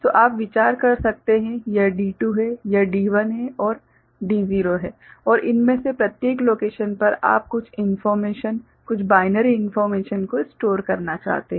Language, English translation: Hindi, So, you can consider this is D2 this is D1 and D naught and in each of these locations you want to store some information, some binary information right